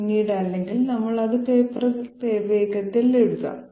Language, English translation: Malayalam, Later on or we can quickly write it down here on the on paper